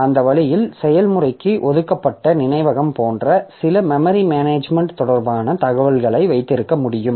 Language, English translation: Tamil, So, that way we can have some memory management related information like memory allocated to the process